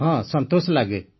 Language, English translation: Odia, Yes, it feels good